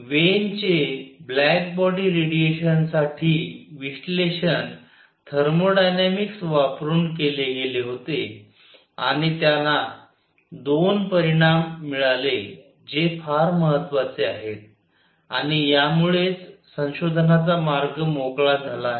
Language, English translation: Marathi, So, Wien’s analysis for the black body radiation was carried out using thermodynamics and he got 2 results which are very very important and that actually open the way for the research